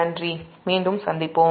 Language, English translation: Tamil, thank u again, we will be back